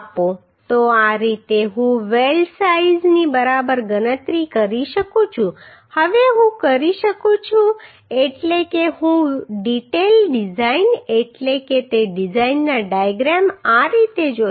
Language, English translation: Gujarati, So this is how I can calculate the weld size right now I can means I will see the detail design means diagram of that design as this